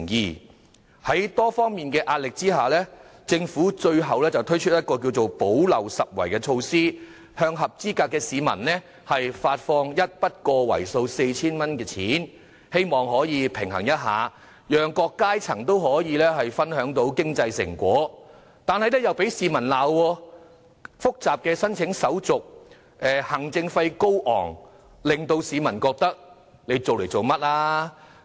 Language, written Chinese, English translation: Cantonese, 面對多方壓力下，政府最後推出一項補漏拾遺的措施，向合資格市民發放一筆為數 4,000 元的款項，讓各階層也可分享經濟成果，卻又被市民批評申請手續複雜、行政費高昂，有些市民更質疑政府這樣做的動機。, In the face of pressure from various sides the Government has finally introduced a gap - plugging measure by granting a sum of 4,000 to eligible members of the public to allow people from various strata to share the fruits of economic development . However the measure has been criticized by the public for its complicated application formalities exorbitant administrative fees and what is more some people have even queried the Governments motive of introducing this measure